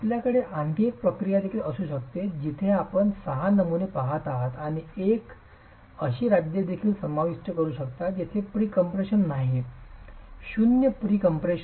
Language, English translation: Marathi, You could also have another procedure where you're looking at six specimens and also include a state where there is no pre compression, zero pre compression